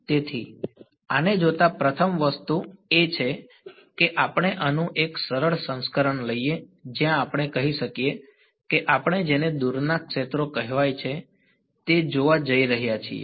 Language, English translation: Gujarati, So, looking at this the first thing to do is let us take a simple simplified version of this, when we say that we are going to look at what are called far fields ok